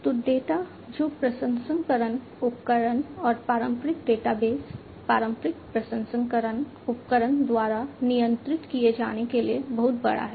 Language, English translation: Hindi, So, data which is too big to be handled by processing tools and conventional databases, conventional processing tools, and conventional databases